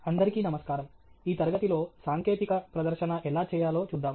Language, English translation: Telugu, Hello, in this class, we will look at how to make a technical presentation